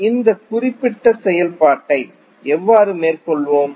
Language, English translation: Tamil, Now, how we will carry on this particular operation